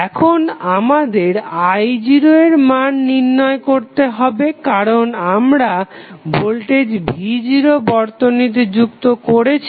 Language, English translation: Bengali, Now, next is that we have to find out the value I naught because we have added voltage v naught across the circuit